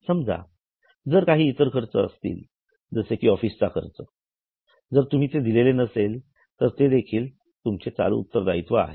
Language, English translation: Marathi, If suppose there are some other expenses, let us say office expenses, you have not yet paid them, then that is also a current liability